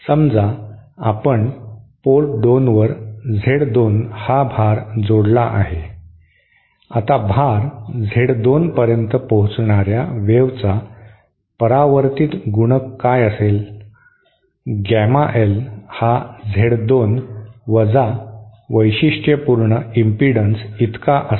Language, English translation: Marathi, Suppose consider we add a load Z 2 at port 2 now what will be the reflection coefficient for a wave hitting the load Z 2, gamma l will be equal to Z 2 minus the characteristic impedance